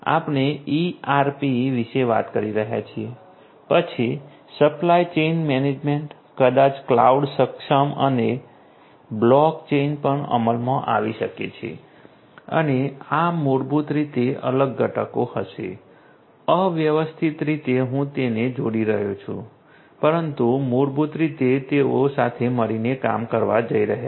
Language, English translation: Gujarati, We are talking about you know ERP, then supply chain management, probably cloud enabled and also may be you know block chain implemented, block chain implemented and these basically will be these are these different components which are going to randomly I am you know connecting them, but basically they are going to work together